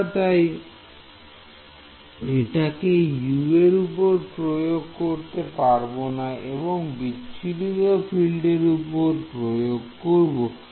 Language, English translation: Bengali, We should not be imposing it on U we should be imposing it on scattered field right